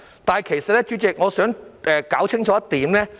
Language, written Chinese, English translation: Cantonese, 代理主席，我想說明一點。, Deputy President I want to make one point clear